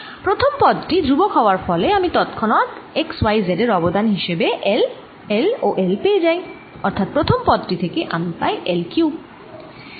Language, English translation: Bengali, first term is a constant, so i get immediately l, l and l contribution from x, y and z and therefore i get l cubed from the first term plus for the second term